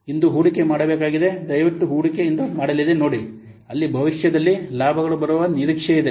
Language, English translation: Kannada, Please see the investment will make today whereas the benefits are expected to come in the future